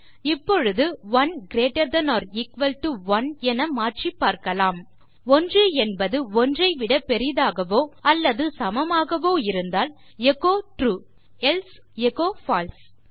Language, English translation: Tamil, Now lets change this to 1 greater than or equal to 1 IF 1 greater than or equal to 1, echo True else echo False